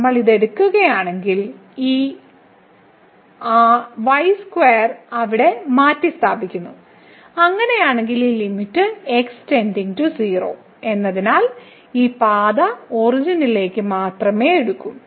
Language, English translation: Malayalam, So, if we take this we substitute this square there, then in that case this limit goes to 0 because this path will take to the origin only